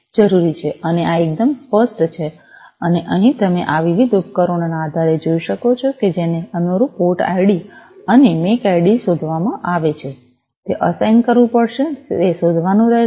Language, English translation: Gujarati, And this is quite obvious and here as you can see based on these different devices that are discovered the corresponding port id and the MAC id, will have to be assigned, will have to be found out